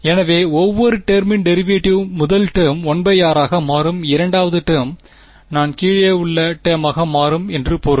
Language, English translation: Tamil, So, derivative of each term so first term will become 1 by r; second term will I mean the term in the bottom will become minus 2 by